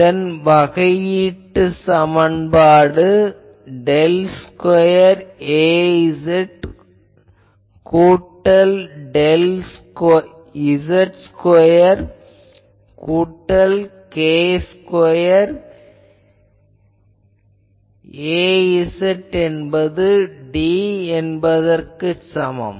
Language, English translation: Tamil, So, LHS is I can say that if I integrate it, then del square Az del z square plus k square Az sorry plus k Az dz minus delta by 2 to delta by 2